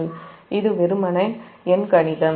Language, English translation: Tamil, look, it is a simple arithmetic